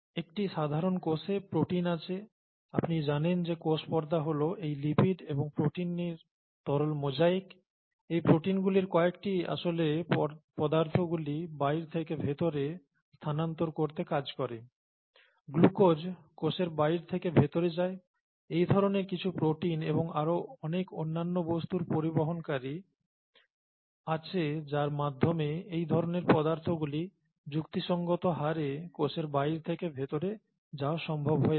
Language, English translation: Bengali, In a typical cell, there are actually proteins, you know the, cell membrane is fluid mosaic of these lipids and proteins, some of those proteins actually function to transfer substances from the outside to the inside, glucose goes from outside the cell to the inside of the cell, through some such proteins and many other things have transporters that make it possible for such substances to move from the outside of the cell to the inside of the cell at reasonable rates